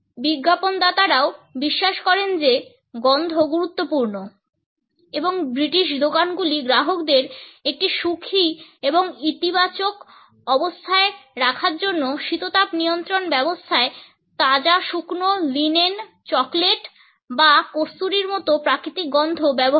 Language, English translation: Bengali, Advertisers also believe that smell is important and British stores use natural smells such as that of freshly dried linen, chocolate or musk in the air conditioning systems to put customers in a happy and positive frame